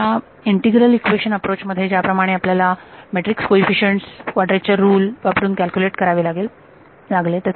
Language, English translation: Marathi, Like in your integral equation approach there you had to calculate the matrix coefficients by using quadrature rule